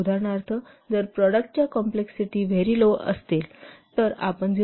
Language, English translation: Marathi, For example, if the product complexity is very low, you may assign 0